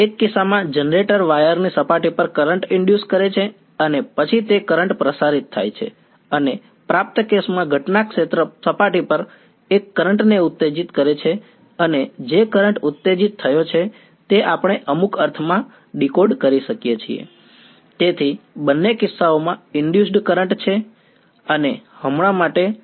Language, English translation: Gujarati, In one case the generator induces the current on the surface of the wire and then that current radiates and in the receiving case incident field comes excites a current on the surface and that current which has been excited is what we decode in some sense